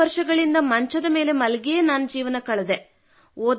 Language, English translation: Kannada, For 67 years I've been on the cot